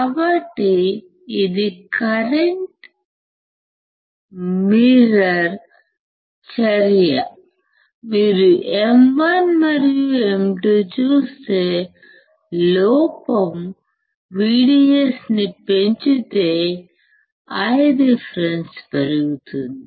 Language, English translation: Telugu, So, this is just a current mirror action, if you see M 1 and M 2 , if error increases my VDS my I reference increases